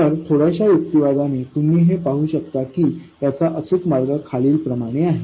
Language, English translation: Marathi, So, with a little bit of reasoning you can see that the correct way to do this is the following